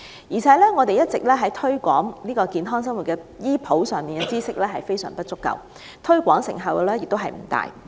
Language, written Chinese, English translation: Cantonese, 而且，在推廣健康生活的醫普知識方面，當局的工作亦一直非常不足，推廣成效也不大。, Moreover with regard to the promotion of general medical knowledge about healthy living the efforts made by the Government have also been far from adequate thus undermining the effectiveness of its promotion work